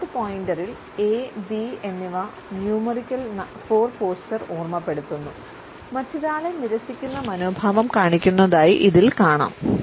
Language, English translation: Malayalam, In the knee point A and B which also remind us of the numerical 4 posture; we find that an attitude of rejecting the other person is shown